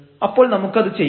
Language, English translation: Malayalam, So, we can do that